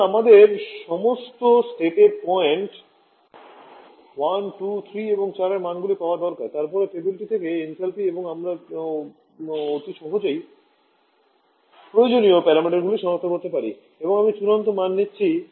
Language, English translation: Bengali, So, we need to get the values for all the state points 1, 2, 3 and 4 then the enthalpy from the table and then you can easily identify the required parameters and I am giving the final value COP for this case will be equal to 3